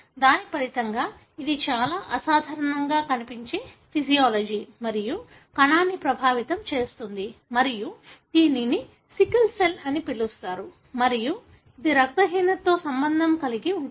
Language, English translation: Telugu, As a result, it affects the physiology and the cell that look very, very abnormal and that is called as sickle cell and also it is associated with anaemic condition